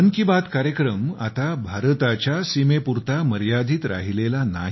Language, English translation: Marathi, 'Mann Ki Baat' is no longer confined to the borders of India